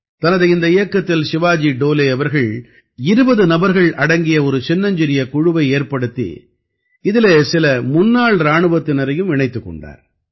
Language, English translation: Tamil, In this campaign, Shivaji Dole ji formed a small team of 20 people and added some exservicemen to it